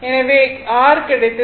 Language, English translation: Tamil, So, r is equal to 0